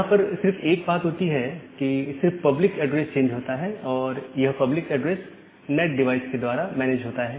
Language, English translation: Hindi, So, only thing is that the public address gets changed and these public address are managed by the NAT device